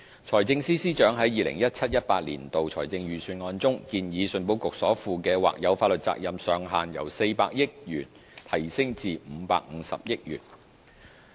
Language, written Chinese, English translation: Cantonese, 財政司司長在 2017-2018 年度的財政預算案中，建議信保局所負的或有法律責任上限由400億元提高至550億元。, The Financial Secretary proposed in the 2017 - 18 Budget that the cap on the contingent liability of ECIC be raised from 40 billion to 55 billion